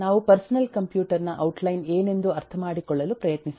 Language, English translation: Kannada, eh, we try to understand what is an outline of a personal computer